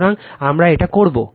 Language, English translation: Bengali, So, we will do it